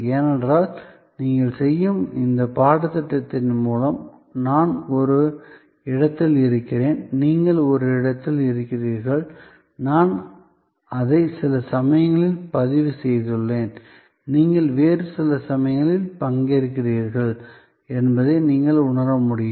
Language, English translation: Tamil, Because, you can realize that, through this very course that you are doing, I am at some place, you are at some place, I have recorded it in some point of time, you are participating it in some other point of time, yet we are connected